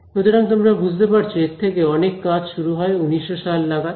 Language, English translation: Bengali, So, you can imagine that that would have led to a lot of work starting from the 1900s